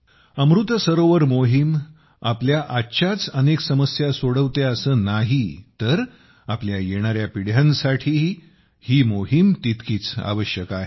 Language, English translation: Marathi, The Amrit Sarovar Abhiyan not only solves many of our problems today; it is equally necessary for our coming generations